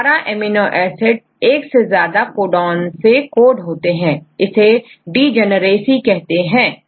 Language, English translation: Hindi, So, 18 of the 20 amino acids are coded with the more than one codon right and this is called the degeneracy